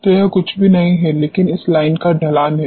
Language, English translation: Hindi, So, that is nothing, but the slope of this line